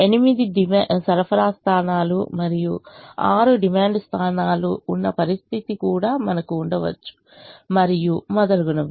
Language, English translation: Telugu, we could even have a situation where there are eight supply points and six demand points, and so on